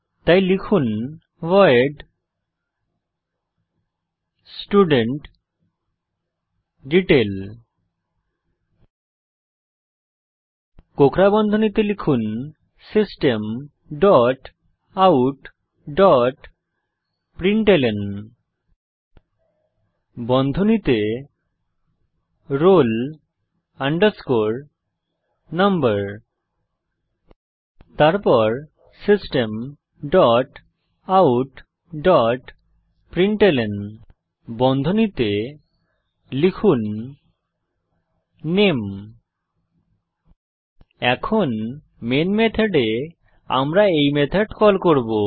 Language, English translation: Bengali, So type void studentDetail() Within curly brackets type System dot out dot println roll number Then System dot out dot println name Now in Main method we will call this method